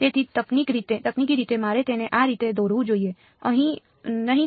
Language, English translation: Gujarati, So, technically I should not draw it like this